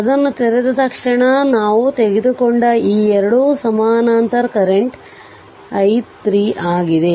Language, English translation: Kannada, As soon as you open it, these 2 parallel equivalent we have taken and this is the current I 3